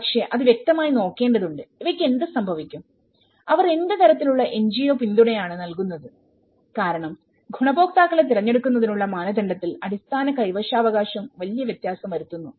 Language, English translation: Malayalam, But, obviously one has to look at it obviously, what happens to these you know what kind of NGO support they give because the basic tenure also makes a big difference in the criteria of the selection of the you know, the beneficiaries